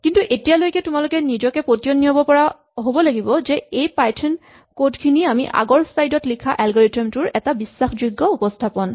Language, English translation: Assamese, But at this point you should be able to convince yourself that this set of python steps is a very faithful rendering of the informal algorithm that we wrote in the previous slide